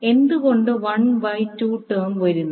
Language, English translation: Malayalam, Why 1 by 2 term is coming